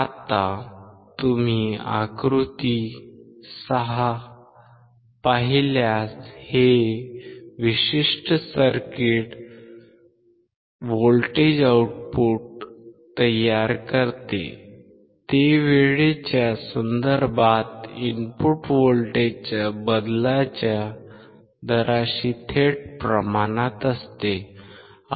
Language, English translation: Marathi, Now, if you see figure 6, this particular circuit produces a voltage output, which is directly proportional to the rate of change of input voltage with respect to time